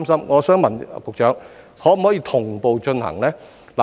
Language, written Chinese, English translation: Cantonese, 我想問局長，當局可否同步進行呢？, I wish to ask the Secretary whether the authorities can carry out both tasks at the same time